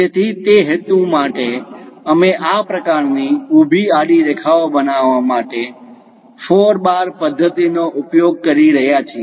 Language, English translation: Gujarati, So, for that purpose we are using four bar mechanism to construct this kind of vertical, horizontal lines